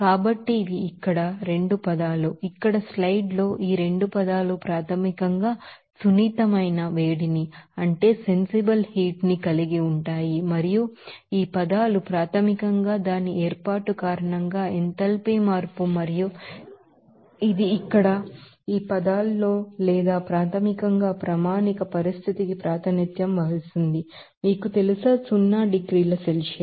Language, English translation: Telugu, So, these are 2 terms here, as soon here in the slide that these 2 terms basically includes the both sensitive heat up a change and this terms is basically the enthalpy change due to its formation and this here in this terms or basically represents the standard condition, that being said, you know, zero degrees Celsius